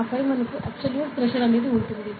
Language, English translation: Telugu, And then we have the absolute pressure